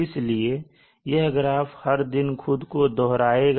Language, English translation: Hindi, So every day this profile will repeat